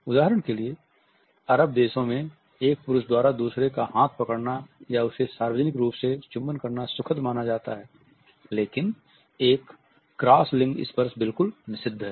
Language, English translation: Hindi, For example, in the Arab world it is comfortable for men to hold the hands of each other or to kiss them in public a cross gender touch is absolutely prohibited